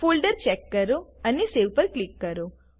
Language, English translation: Gujarati, Check the folder, and Click on Save